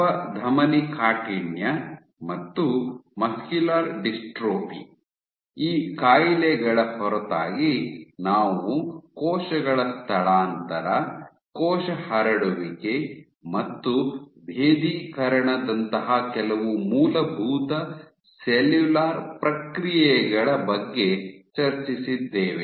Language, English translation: Kannada, Apart from these diseases we also discussed some basic cellular processes like cell migration, cell spreading and differentiation